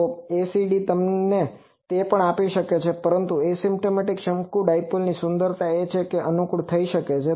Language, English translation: Gujarati, So, ACD also can give you that, but the beauty of asymptotic conical dipole is that it can be amenable